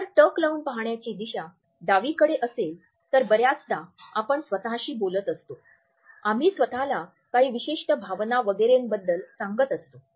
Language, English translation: Marathi, If the gaze direction is towards a left then often we are talking to ourselves, we are telling ourselves about certain emotion etcetera